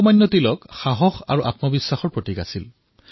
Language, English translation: Assamese, Lokmanya Tilak was full of courage and selfconfidence